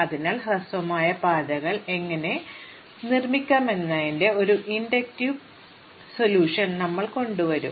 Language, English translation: Malayalam, So, we will come up with an inductive solution of how to build up the shortest paths